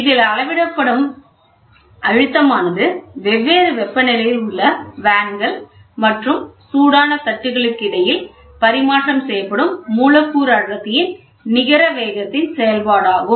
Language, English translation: Tamil, The pressure measured is a function of a net rate of exchange of momentum of molecular density, between the vanes and the hot plates, which are at different temperatures